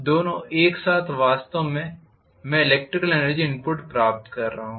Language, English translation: Hindi, The two together actually I am getting the electrical energy input